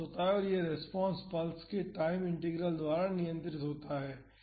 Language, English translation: Hindi, And, this response is controlled by the time integral of the pulse